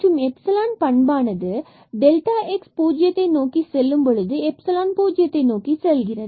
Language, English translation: Tamil, So, what this epsilon will have the property that this epsilon will go to 0 when delta x approaches to 0